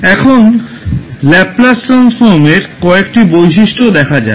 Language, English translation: Bengali, Now, let's see few of the properties of Laplace transform